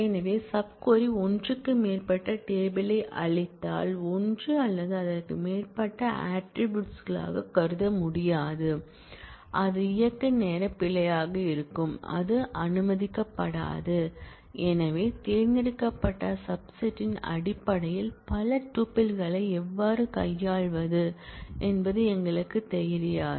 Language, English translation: Tamil, So, if the sub query returns more than one table which cannot be conceived as one or more attributes, then it will be runtime error that will not be allowed; because we do not know how to handle multiple tuples in terms of a select clause